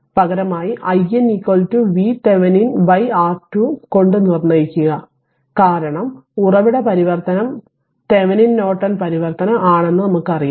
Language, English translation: Malayalam, Alternatively we can determine i n is equal to V Thevenin by R Thevenin same thing right because source transformation I told you from Thevenin Norton transformation actually